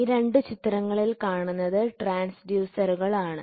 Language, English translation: Malayalam, These two figures are transducers